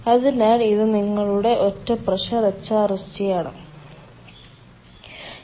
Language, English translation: Malayalam, so this is your single pressure hrsg